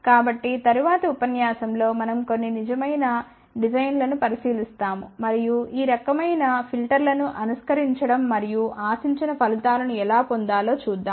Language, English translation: Telugu, So, in the next lecture we will look at some of the real design, and how to do the simulation of these kind of a filters and obtain the desired results